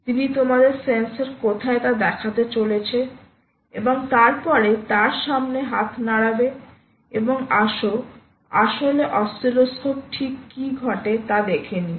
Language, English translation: Bengali, she is going to show you where the sensor is and then she is going to wave in front of it and let see what actually happens on the oscilloscope